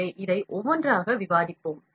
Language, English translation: Tamil, So, we will discuss this one by one